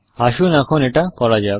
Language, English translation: Bengali, Let us do that now